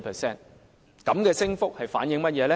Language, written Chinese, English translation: Cantonese, 這種升幅反映出甚麼？, What does this increase rate reflect?